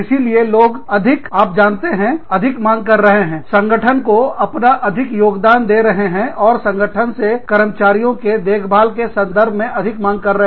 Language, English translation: Hindi, So, people are more, you know, demanding more, giving more of themselves, to the organization, and demanding more, from the organization, in terms of, taking care of its employees